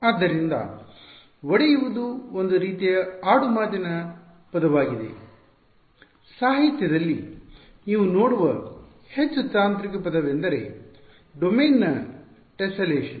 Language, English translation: Kannada, So, breaking up is a sort of a colloquial word, the more technical word you will see in the literature is tesselation of the domain ok